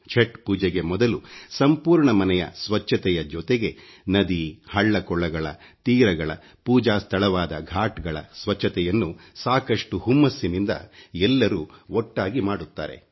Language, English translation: Kannada, Before the advent of Chatth, people come together to clean up their homes, and along with that cleansing of rivers, lakes, pond banks and pooja locations, that is ghats, with utmost enthusiasm & fervour